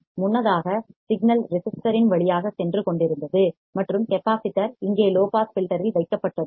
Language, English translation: Tamil, Earlier the signal was passing through the resistor, and the capacitor was placed here in the low pass filter